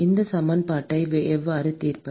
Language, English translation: Tamil, How do we solve this equation